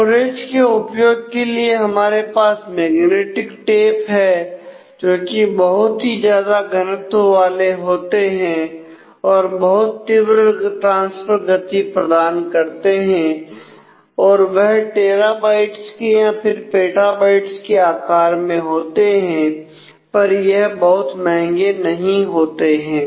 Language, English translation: Hindi, storages are used there are magnetic tapes which are very large volume and provide a high transfer rate and they are go currently they go into different couple of orders of terabytes even petabytes in size, but the tapes are not really very expensive